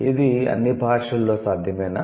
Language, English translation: Telugu, Is it possible in the languages